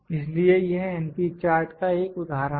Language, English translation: Hindi, So, this is an example of np chart